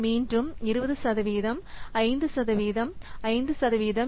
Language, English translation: Tamil, So, again, 20% 5% and 5%